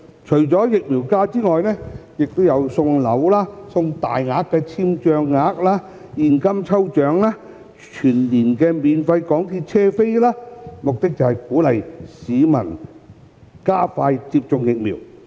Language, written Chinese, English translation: Cantonese, 除了疫苗假期外，亦有送樓、大額簽帳額、現金抽獎及全年免費港鐵車票等，目的是鼓勵市民加快接種疫苗。, Apart from vaccination leave lucky draw prizes such as flat units large spending credits cash and free MTR tickets for the whole year will also be given out with an aim of encouraging the public to get vaccinated expeditiously